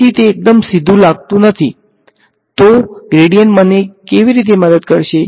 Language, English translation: Gujarati, So, it does not seem very straightforward how gradient is going to help me in this